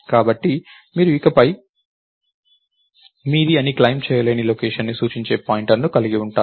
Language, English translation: Telugu, So, you are having a pointer that is actually pointing to a location that you cannot claim to be yours anymore